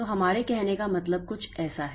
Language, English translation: Hindi, So, what we mean by this is something like that